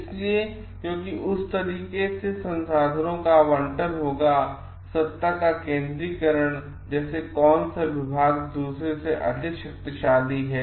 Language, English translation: Hindi, So, because in that way there will be the allocation of resources and centralization of power like which department is more powerful than the other